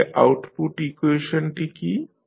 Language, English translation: Bengali, So, what is the output equation